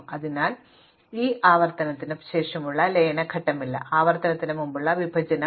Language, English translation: Malayalam, So, it is not the merge step after the recurrence, but the partitioning step before the recurrence